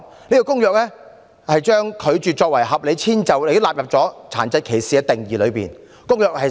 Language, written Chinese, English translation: Cantonese, 這份《公約》將拒絕提供合理遷就納入殘疾歧視的定義之中。, CRPD defines disability discrimination as including denial of reasonable accommodation